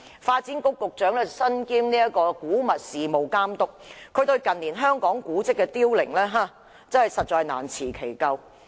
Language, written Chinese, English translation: Cantonese, 發展局局長身兼古物事務監督，對於近年香港古蹟的凋零實在難辭其咎。, As the Secretary for Development is also wearing the hat of the Antiquities Authority he cannot shirk the responsibility for the reducing number of monuments in recent years